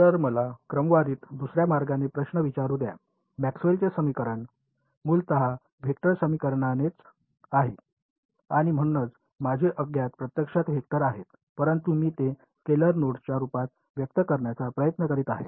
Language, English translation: Marathi, So, let me sort of posses question in another way, Maxwell’s equations are essentially vector equations right and so, my unknowns are actually vectors, but I am trying to express them in terms of scalar nodes